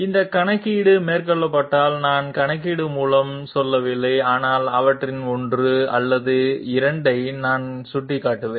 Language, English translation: Tamil, If we have this calculation carried out, I am not going through the calculation but I will just point out one or two of them